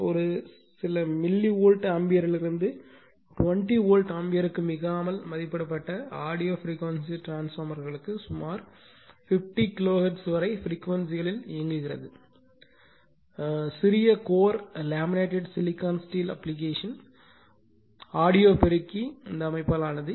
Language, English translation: Tamil, For audio frequency transformers rated from a few milli Volt ampere to not more than your 20 Volt ampere, and operating at frequencies up to your about 15 kiloHertz the small core is also made of laminated silicon steel application audio amplifier system